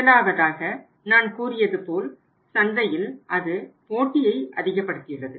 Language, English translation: Tamil, First thing is that as I told you that it has increased the competition in the market